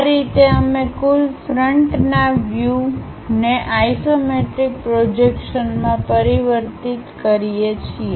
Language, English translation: Gujarati, This is the way we transform that entire front view into isometric projections